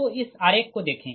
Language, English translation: Hindi, so this is the diagram